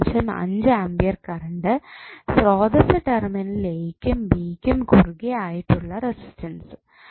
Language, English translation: Malayalam, 5 ampere current source in parallel with the resistance that is 3 ohm across terminal a, b